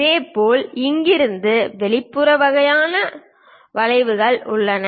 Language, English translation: Tamil, Similarly, there are exterior kind of curves from here